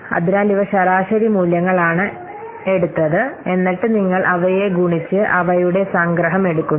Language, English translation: Malayalam, So, these are average values have been taken, and then you multiply them and they take the summation